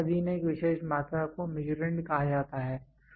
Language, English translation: Hindi, A particular quantity subjected to measurement is called as Measurand